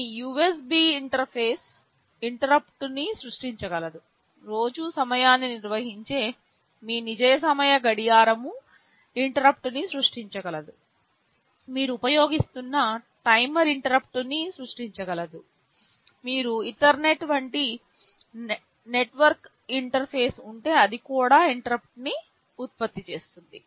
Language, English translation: Telugu, Like your USB interface can generate an interrupt, your real time clock that maintains the time of day can generate an interrupt, some timer which you are using can generate an interrupt, if you are having a network interface like Ethernet that interface can also generate an interrupt